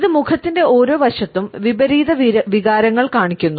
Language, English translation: Malayalam, It shows opposite emotions on each side of the face